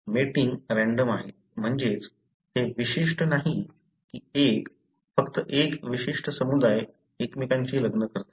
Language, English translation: Marathi, Mating is random, that is it is not specific that one, only a particular community be the one marrying each other